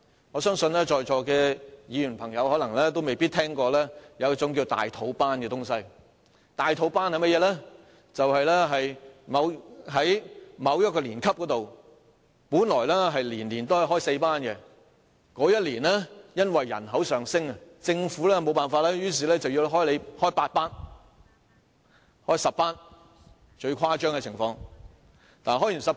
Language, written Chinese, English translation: Cantonese, 我相信在座的議員同事可能沒有聽說過"大肚班"，"大肚班"的意思是，在某一年級，本來每年開4班，但該年因人口上升，政府在沒辦法的情況下只好要求學校開8班，最誇張的情況是開10班。, I believe Honourable colleagues here may not have heard of big belly classes . It means that for a certain grade originally four classes were operated every year but owing to a rise in the population that year the Government has no other alternative but to request the school to operate eight classes . The most outrageous case is operating 10 classes